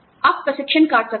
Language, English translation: Hindi, There could be cut